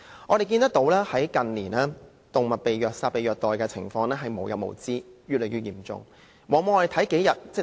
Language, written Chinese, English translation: Cantonese, 我們看到，近年動物被虐殺、被虐待的情況無日無之，越來越嚴重的。, We notice that in recent years killings and abuse of animals have become never - ending and rampant